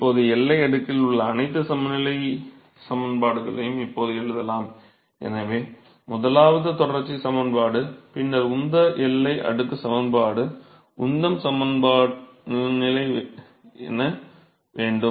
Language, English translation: Tamil, So, now, we can write now the all the balance equations in the boundary layer and so, the first one would be continuity equation that is the continuity equation